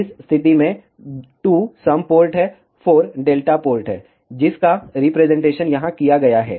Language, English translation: Hindi, In this case, 2 is the sum port, 4 is the delta port represented in here